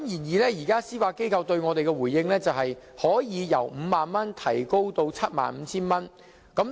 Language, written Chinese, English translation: Cantonese, 然而，司法機構對我們的回應，是可以由5萬元提高至 75,000 元。, Nevertheless the Judiciarys reply is that the limit can be increased from 50,000 to 75,000